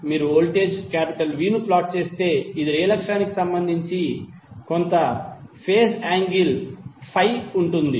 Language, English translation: Telugu, If you plot voltage V, which will have some phase angle Phi with respect to real axis